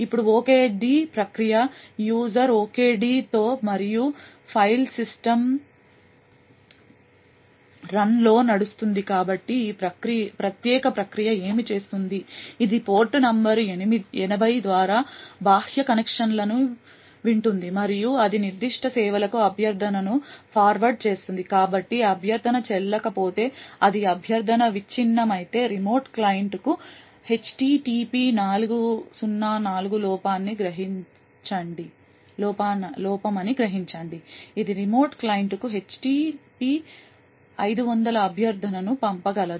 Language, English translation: Telugu, Now the OKD process runs with the user OKD and in the file system run, so what this particular process does, it listens to external connections through port number 80 and then it forwards the request to specific services, so if the request is invalid then it sense a HTTP 404 error to the remote client if the request is broken then it could send an HTP 500 request to the remote client